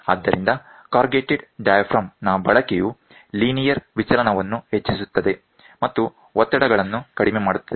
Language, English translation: Kannada, So, use of corrugated diaphragm increases linear deflection and reduces stresses